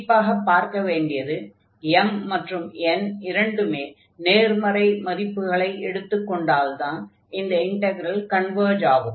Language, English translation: Tamil, So, we will see that this integral converges only for these values when m and n both are strictly positive